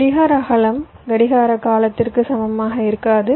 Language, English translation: Tamil, clock width is not equal to the clock period